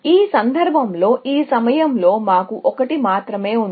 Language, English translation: Telugu, In this case, we have only one at this moment